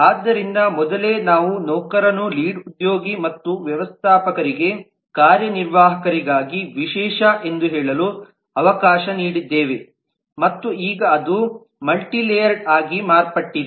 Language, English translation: Kannada, so earlier we had let say the employee was a specialization for executive for lead and for manager and now that has just become multi layered